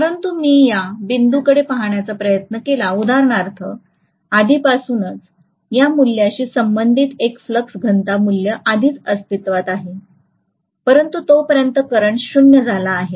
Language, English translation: Marathi, So but if I try to look at this point for example, there is already a flux density value existing almost corresponding to this value, but by then the current has become 0